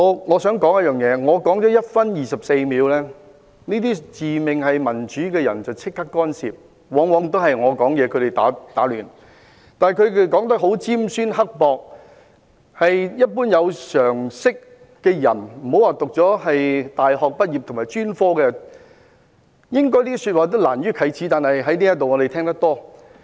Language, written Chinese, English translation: Cantonese, 我想指出一點，我發言了1分24秒，這些自命民主的人便立即干涉，往往在我發言期間打亂我，但他們說得很尖酸刻薄的一些說話，對於一般有常識的人，且不說大學或專科畢業的人，也難於啟齒，我們卻經常在這裏聽到。, I would like to make one point after I had spoken for just 1 minute and 24 seconds these self - proclaimed democrats intervened immediately; they often disrupt me during my speech but what we often hear here is their bitterly sarcastic remarks which any ordinary person with common sense would feel uncomfortable to make much less graduates from universities or professional institutes